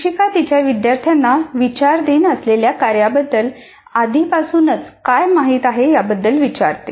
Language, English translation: Marathi, Teacher asks her students what they already know about the task under consideration